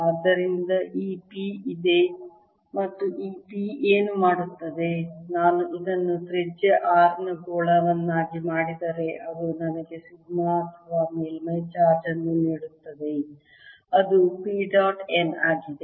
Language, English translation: Kannada, if i take this, make this sphere of radius r, it will give me a sigma or the surface charge here, which is p dot n